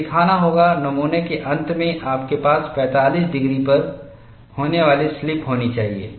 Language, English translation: Hindi, I have to show, at the end of the specimen, you should have slip taking place at 45 degrees